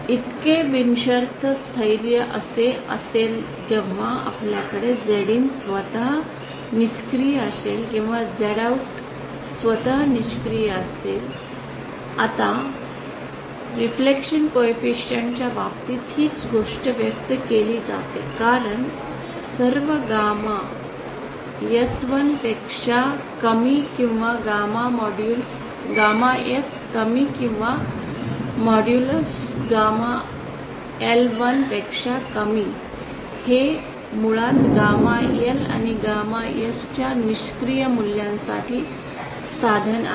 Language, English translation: Marathi, So unconditional stability that will be the case when we have the ZIN itself being passive or Z OUT itself being passive now this same thing in terms of reflection coefficients is expressed as so for all gamma S lesser than 1 or gamma modulus gamma S less or modulus gamma L lesser than 1 it this basically means for passive values of gamma L and gamma S